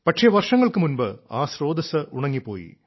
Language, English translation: Malayalam, But many years ago, the source dried up